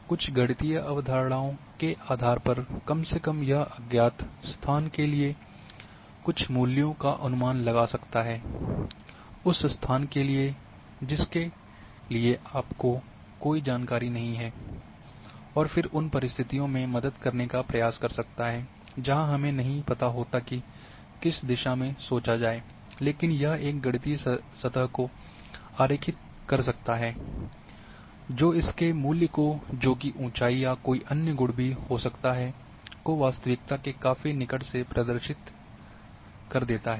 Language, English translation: Hindi, So atleast based on certain mathematical concepts it will predict a value for a unknown location, for a location for which you don’t have any information and a then try to help in the situations where I might decide where we cannot think, but a mathematical surfaces can be drawn which will give a near true representation of a value of it’s phenomena may be elevation may be other quantity qualities